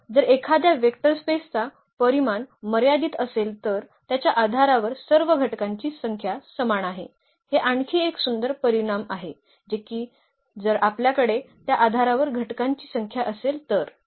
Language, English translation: Marathi, So, if a vector space has finite basis then all of its basis have the same number of elements, that is another beautiful result that if we have the n number of elements in the basis